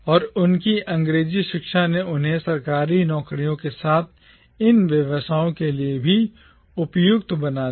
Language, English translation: Hindi, And their English education made them eminently suitable to take up these government jobs as well as for these professions